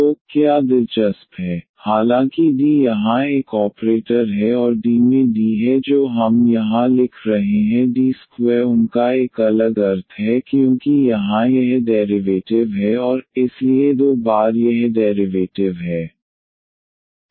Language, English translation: Hindi, So, what is interesting though D is a operator here and D into D which is we are writing here D square they have a different meaning because here it is a derivative and then again derivative, so two times this derivative